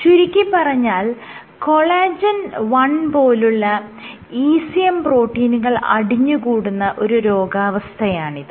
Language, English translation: Malayalam, It is an accumulation of ECM proteins including collagen 1